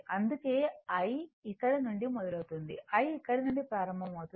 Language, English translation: Telugu, That is why, I is starting from here, I is starting from here right